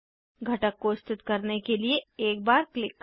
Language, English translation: Hindi, To place component click once